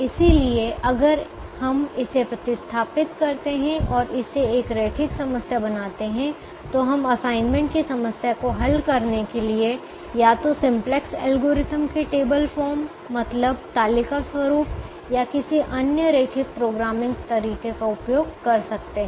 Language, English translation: Hindi, so if we replace this and make it a linear problem, then we can use either the simplex algorithm in its tabular form or any other linear programming way to solve the assignment problem